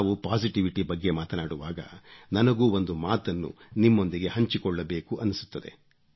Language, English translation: Kannada, When we all talk of positivity, I also feel like sharing one experience